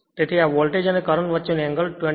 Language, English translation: Gujarati, So, angle between these voltage and current is 27